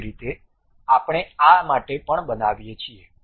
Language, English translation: Gujarati, In the similar way we construct for this one also